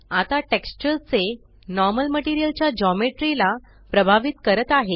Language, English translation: Marathi, Now the Normal of the texture influences the Geometry of the Material